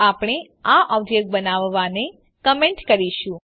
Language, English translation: Gujarati, So we will comment this object creation